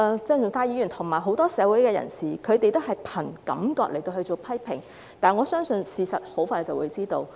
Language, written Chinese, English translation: Cantonese, 鄭議員及很多社會人士也是憑感覺作出批評，但我相信大家很快便會知道事實。, Dr CHENG and many members of society have made criticisms based on feelings but I believe they will soon know the truth